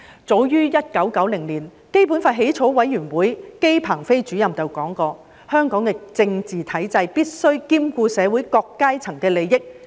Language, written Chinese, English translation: Cantonese, 早於1990年，基本法起草委員會姬鵬飛主任曾說，香港的政治體制必須兼顧社會各階層利益。, As early as in 1990 the Chairman of the Drafting Committee for the Basic Law JI Pengfei said that the political structure of Hong Kong should consider the interests of the different sectors of society